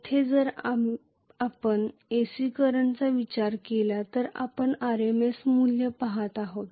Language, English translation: Marathi, Here even if we consider AC current we are looking at the RMS value